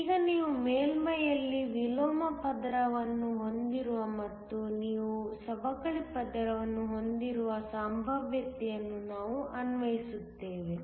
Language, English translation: Kannada, Now, we are applied a potential such that you have an inversion layer at the surface and you also have a depletion layer